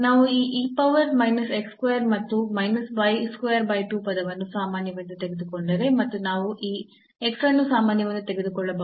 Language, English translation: Kannada, So, if we take this e power minus x square and minus y square by 2 term common and also we can take this x common